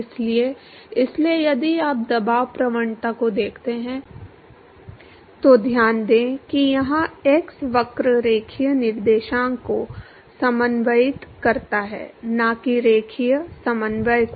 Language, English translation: Hindi, So, therefore, if you look at the pressure gradient, so note that here x coordinates the curve linear coordinate not the linear coordinate